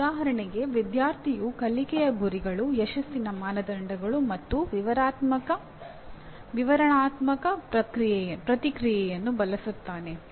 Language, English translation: Kannada, For example the student uses the learning goals, success criteria and descriptive feedback